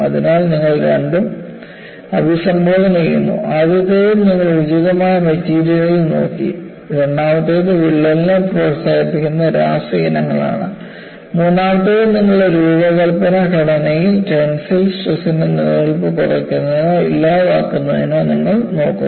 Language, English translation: Malayalam, So, you address both; in the first two, you have looked at appropriate material; second one is the chemical species that promotes cracking; the third one, you look at minimizing or eliminating the existence of tensile stresses in your design structure